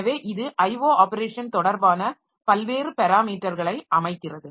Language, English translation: Tamil, So that sets various parameters related related to the IO operation